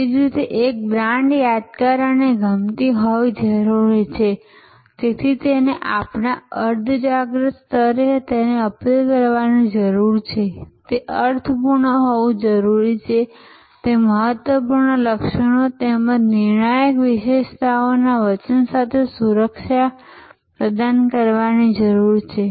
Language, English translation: Gujarati, In the same way a brand needs to be memorable and likeable therefore, it needs to appeal to our in our subconscious level it needs to be meaningful it needs to be to offer security with the promise of important attributes as well as determinant attributes